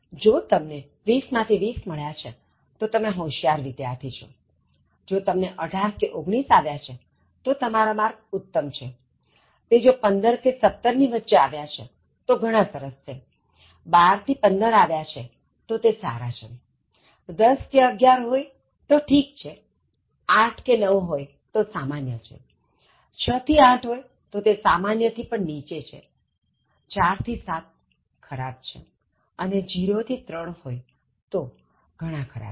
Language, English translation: Gujarati, So, if you are 20 out of 20 so you are Outstanding, if you have got18 or 19 your score is Excellent, if it is between 15 and 17 it is Very Good, between12 and 15 is Good, 10 to 11 is Fair, 8 to 9 is Average, 6 to 8 is Below Average, 4 to 7 is Poor and 0 to 3 is Very Poor